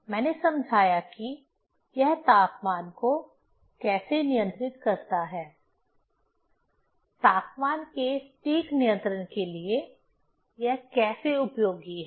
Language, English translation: Hindi, I explained, how it controls the temperature; how it is very useful for precise control of temperature